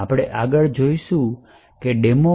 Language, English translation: Gujarati, In the demo that we will look at next